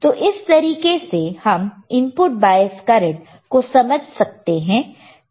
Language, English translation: Hindi, So, this is the way how you can understand the input bias current ok